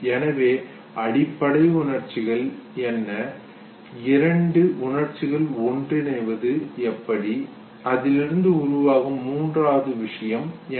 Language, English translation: Tamil, So what are those basic emotions and how is it that no two emotions they mixed together and what is the third thing that gets generated out of it